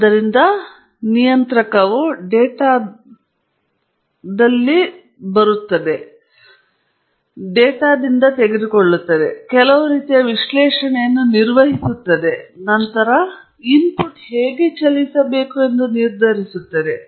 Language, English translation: Kannada, So, the controller is taking in the data, performing some kind of analysis, and then, deciding how the input should move